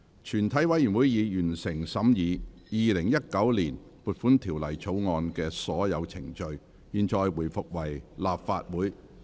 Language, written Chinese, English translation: Cantonese, 全體委員會已完成審議《2019年撥款條例草案》的所有程序。現在回復為立法會。, All the proceedings on the Appropriation Bill 2019 have been concluded in committee of the whole Council